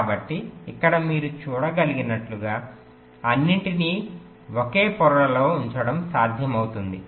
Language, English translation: Telugu, so here, as you can see, that it is possible to put all of them together on the same layer